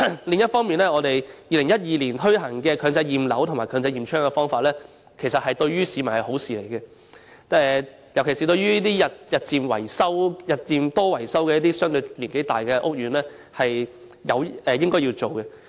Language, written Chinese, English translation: Cantonese, 另一方面，在2012年推行的強制驗樓和強制驗窗的計劃，其實對市民而言是好事，尤其是對於該等日久失修、樓齡相對較高的屋苑，這是應有的做法。, On the other hand the Mandatory Building Inspection Scheme and the Mandatory Window Inspection Scheme launched in 2012 are actually beneficial to members of the public . This is a proper approach particularly for those older estates in a state of disrepair